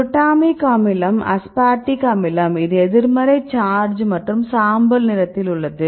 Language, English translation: Tamil, Glutamic acid aspartic acid this was the negative charge and the gray for